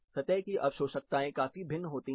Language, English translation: Hindi, This absorptivity of the surface considerably varies